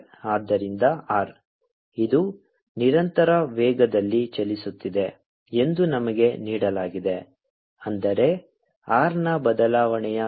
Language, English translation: Kannada, we are given that that moving, the constant velocity, that is, rate of change of r, is v